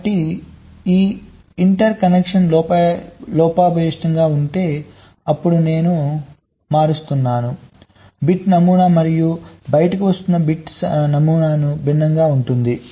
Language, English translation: Telugu, so if this interconnection was faulty, then what bit pattern i am in shifting in and the bit pattern that is coming out will be different